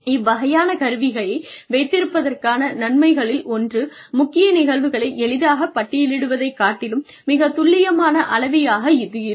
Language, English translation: Tamil, The advantages of having this kind of an instrument are, one, it is a more accurate gauge than, just a simple list of critical incidents